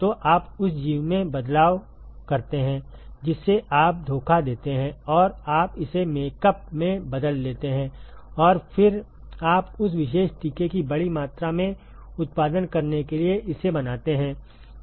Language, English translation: Hindi, So, you tweak the organism you cheat the organism and you modify it is makeup and then you make it to produce large quantities of that particular vaccine